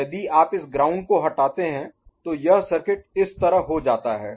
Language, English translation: Hindi, Now if you remove this ground like this circuit becomes like this